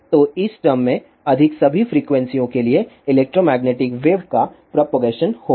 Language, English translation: Hindi, So, for all the frequencies greater than this term, there will be propagation of the electromagnetic wave